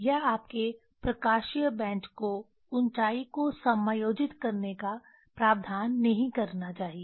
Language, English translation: Hindi, this your optical bench should not provision to adjust the height